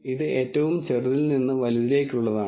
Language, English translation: Malayalam, This is the smallest to the largest